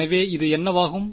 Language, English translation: Tamil, So, what will that become